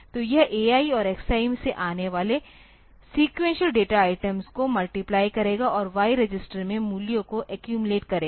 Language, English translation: Hindi, So, it will multiply the successive data items coming from a i and x i and accumulate the values in the y register